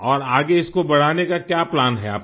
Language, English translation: Hindi, And what is your plan to scale it further